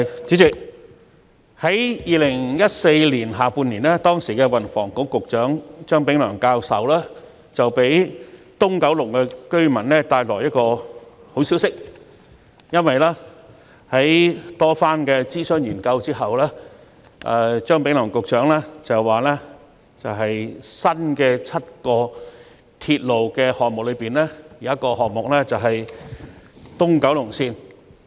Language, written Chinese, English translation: Cantonese, 主席，在2014年下半年，時任運輸及房屋局局長張炳良教授為九龍東居民帶來了一個好消息，因為在經過多番諮詢和研究後，張炳良教授提出在7個新鐵路項目中，其中一個項目將會是東九龍綫。, President the then Secretary for Transport and Housing Prof Anthony CHEUNG brought good news to residents of Kowloon East in the second half of 2014 because after numerous consultations and studies Prof Anthony CHEUNG proposed that the East Kowloon Line EKL would be one of the seven new railway projects